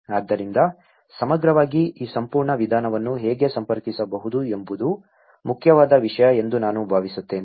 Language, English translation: Kannada, So, I think in a holistically, how one can connect this whole approach is important thing